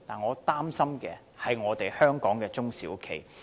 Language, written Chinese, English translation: Cantonese, 我擔心的是在香港營運的中小企。, My concern lies in the SMEs operating in Hong Kong